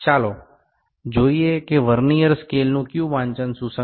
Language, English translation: Gujarati, Let us see which Vernier scale reading is coinciding